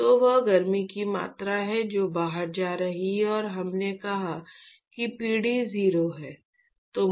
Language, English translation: Hindi, So, that is the amount of heat that is going out plus we said generation is 0